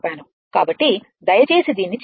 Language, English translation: Telugu, So, please do this